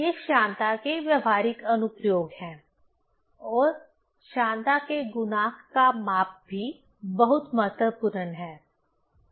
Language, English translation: Hindi, These are the practical application of viscosity and the measurement of coefficient of viscosity is also very important